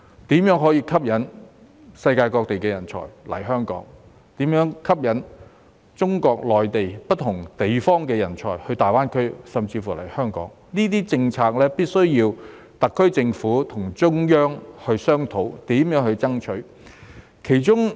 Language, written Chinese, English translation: Cantonese, 因此，如何吸引世界各地的人才來港，以及如何吸引中國內地不同地方的人才到大灣區甚至香港，這些政策必須由特區政府與中央商討並爭取。, So as to how to attract talents from various parts of the world to Hong Kong and how to attract talents from different parts of the Mainland of China to GBA and even Hong Kong the SAR Government must discuss and strive for relevant policies with the Central Authorities